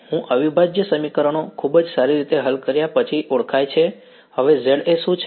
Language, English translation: Gujarati, I is known after I solve the integral equations very good what is Za now